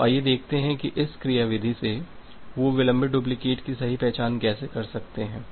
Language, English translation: Hindi, So, let us see that how with this mechanism they can correctly identify delayed duplicate of the sequence numbers